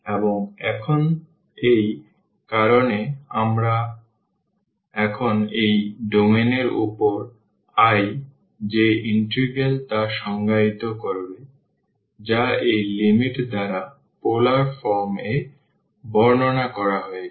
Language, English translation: Bengali, And now because of this, we will get we will define now the integral this i over this domain here which is described in the polar form by this limit